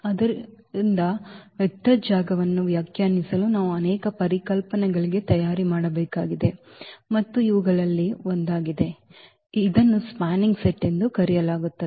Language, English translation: Kannada, So, to define the Vector Space we need to prepare for many concepts and this is one of them so, called the spanning set